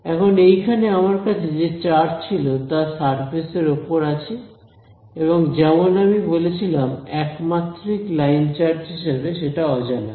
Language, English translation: Bengali, Now, this charge that I had over here the charge is sitting over here on the surface as I said as a one dimensional line charge that is the unknown